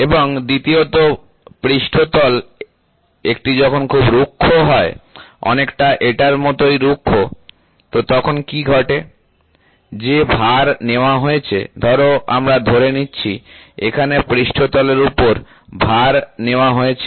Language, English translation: Bengali, And second thing, when you have surfaces which are very rough, something like this very rough, ok, so then what happens, the load which is taken, suppose let us assume, here is a load which is to be taken by a surface